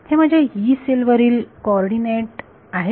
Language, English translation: Marathi, These are the coordinates that are on my Yee cell